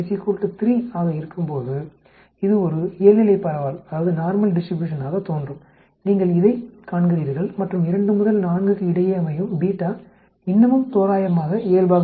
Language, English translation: Tamil, When beta is equal to 3 it looks like a normal distribution, you see this and beta between 2 and 4 still approximately normal